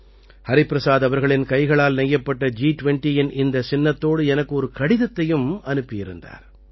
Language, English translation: Tamil, Hariprasad ji has also sent me a letter along with this handwoven G20 logo